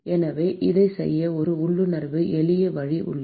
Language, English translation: Tamil, So, there is an intuitively simple way to do this